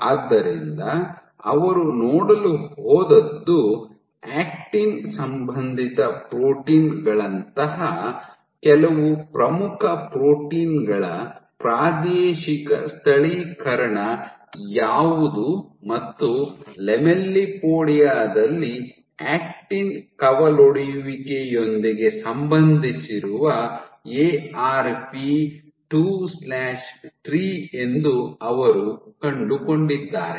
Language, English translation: Kannada, So, what they went on to see was to check that what is the spatial localization of some of the key proteins, actin associated proteins and what they found was Arp 2/3 which is associated with branching of actin it is present in the lamellipodia